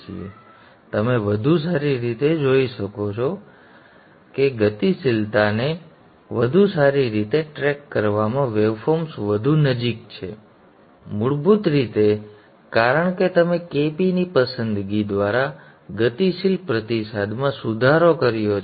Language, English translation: Gujarati, So you see it's much better you see that the waveform is more closer in tracking the dynamics are better basically because you have you you have improved the dynamic response by the choice of KP